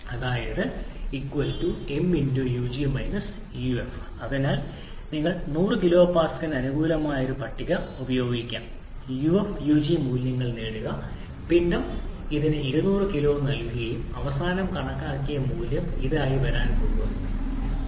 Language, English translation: Malayalam, So you can use a table corresponding to a 100 kilo pascal get the uf and ug values mass is given to it 200 kg and your finally calculated value is going to becoming as 417